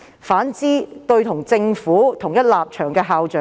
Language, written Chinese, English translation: Cantonese, 反之，他卻每每放生與政府同一立場的校長。, On the contrary he often let off principals who shared the same stance with the Government